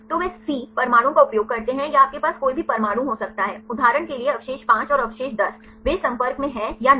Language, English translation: Hindi, So, they use Cβ atoms or you can has any atoms for example, residue 5 and residue 10, they are in contact or not